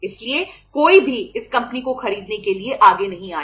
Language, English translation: Hindi, So nobody came forward to buy this company